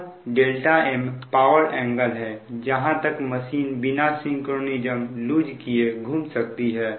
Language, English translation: Hindi, now delta m be the power angle to which the rotor can swing before losing synchronous